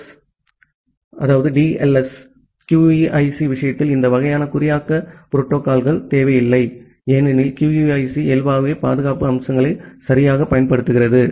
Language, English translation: Tamil, So, this SSL and TLS; this kind of encryption protocols are not required in case of QUIC because QUIC inherently applies the security features ok